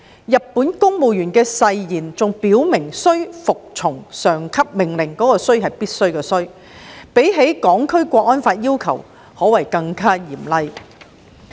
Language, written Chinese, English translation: Cantonese, 日本公務員的誓言還表明須服從上級命令——是"必須"的"須"——較《香港國安法》的要求更加嚴厲。, The oath of Japan also specifies the obedience of superior orders which can be said to be more severe than that required by the National Security Law